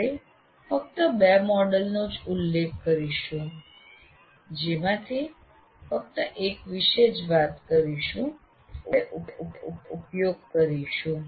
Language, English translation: Gujarati, We will only mention two out of which we'll only deal with one which we are going to use